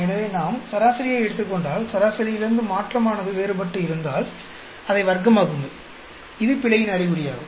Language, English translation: Tamil, So, if we take an average, and then the change difference from the average, square it up, that is an indication of the error